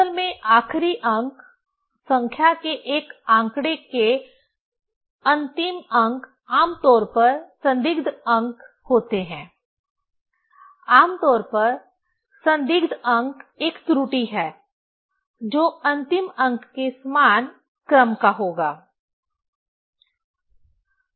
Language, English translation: Hindi, Actually the last digit; the last digits of a figure of the number is generally doubtful digit; generally doubtful digit is an error will be of the same order of the last digit